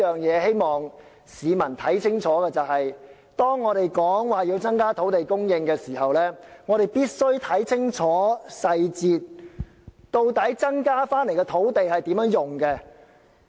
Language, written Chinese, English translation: Cantonese, 我希望市民明白，當政府提出要增加土地供應時，我們必須看清楚計劃的細節，了解增加的土地會作甚麼用途。, When the Government proposes to increase land supply we have to examine very carefully the details of the proposal and find out how the increased land supply will be used